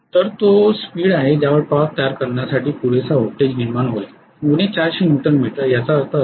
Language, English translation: Marathi, So that is the speed at which it will generate a voltage sufficient enough to create a torque of minus 400 Newton meter, that is what it means